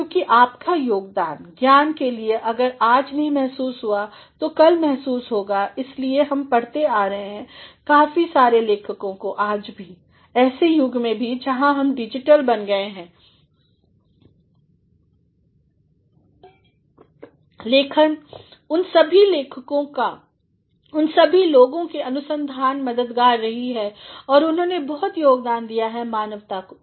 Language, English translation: Hindi, Because, your contribution to the knowledge if may not be felt today it will be felt tomorrow, that is why we have been reading quite a good number of authors even today even in an age, where we have become digital yet the writings of all those people, the researches of all these people have been helpful and they have contributing a lot to the mankind